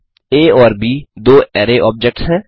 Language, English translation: Hindi, A and B are two array objects